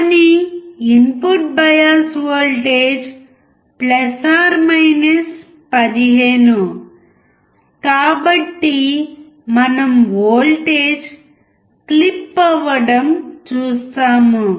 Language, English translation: Telugu, But since input bias voltage is + 15, we see clip in voltage